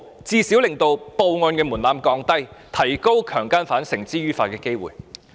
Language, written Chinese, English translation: Cantonese, 這最少可令報案門檻降低，提高將強姦犯繩之於法的機會。, By doing so we can at least lower the threshold for reporting sexual violence cases thus enhancing the chance of bringing sex offenders to justice